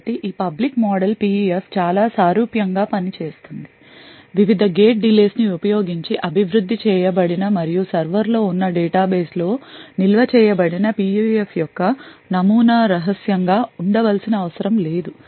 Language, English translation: Telugu, So, this public model PUF works in a very similar way, so except for the fact that the model for the PUF which is developed using the various gate delays and stored in the database present in the server does not have to be secret